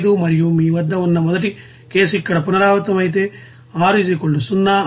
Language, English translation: Telugu, 25 and initial case at you know first iteration here R = 0